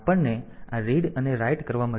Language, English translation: Gujarati, So, we have got this read and write